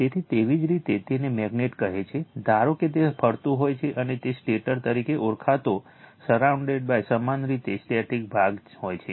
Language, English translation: Gujarati, So, you have a magnet say, suppose it is revolving right and it is surrounded by your static part called stator